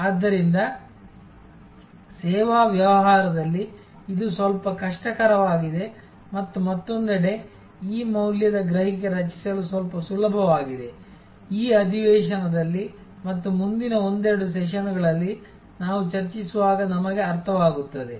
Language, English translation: Kannada, So, in service business, it is somewhat difficult and on the other hand, somewhat easier to create this value perception, which we will understand as we discuss during this session and in the following couple of sessions